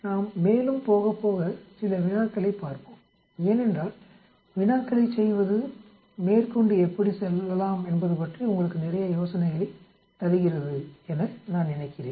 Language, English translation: Tamil, Let us look at some problems actually later on as we go along because I think like doing problems which give you a lot of ideas about how to go about